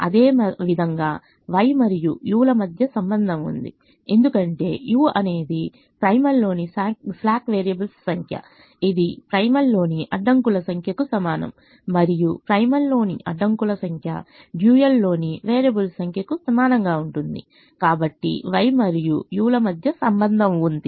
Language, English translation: Telugu, and there is a relationship between x and v, because x is the number of variables in the primal, which is equal to the number of constraints in the dual, and therefore the number of variables in the primal will be equal to the number of slack variables in the dual